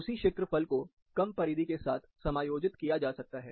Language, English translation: Hindi, The same area can be accommodated with the lesser perimeter